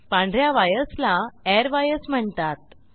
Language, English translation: Marathi, White wires are also called as airwires